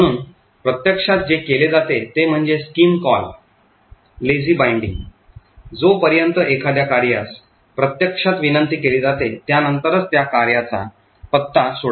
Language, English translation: Marathi, Therefore, what is done in practice is a scheme call Lazy Binding unless a function is actually used only then will the address of that function will be resolved